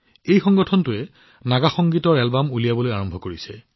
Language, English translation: Assamese, This organization has started the work of launching Naga Music Albums